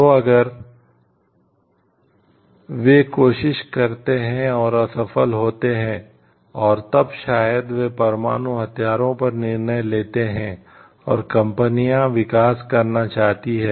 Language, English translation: Hindi, So, if they have tried and failed and then maybe they decide on the nuclear weapons and the companies also want to shoot up the production